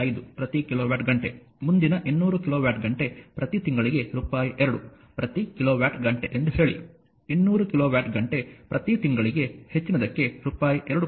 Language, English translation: Kannada, 5 per kilowatt hour, say next 200 kilowatt hour per month at rupees 2 per kilowatt hour and over 200 kilowatt hour per month at rupees 2